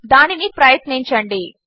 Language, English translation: Telugu, Lets just try it